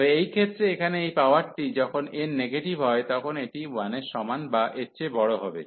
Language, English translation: Bengali, But, in this case this power here, when n is negative this will be a greater than equal to 1